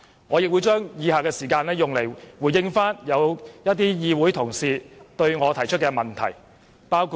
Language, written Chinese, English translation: Cantonese, 我會利用以下時間回應某些議會同事向我提出的問題。, I will use the remaining time to respond to the questions raised by some Honourable colleagues